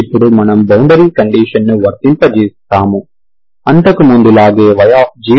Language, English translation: Telugu, So now you apply the boundary conditions, y0 is 0 implies c1 plus c2 equal to 0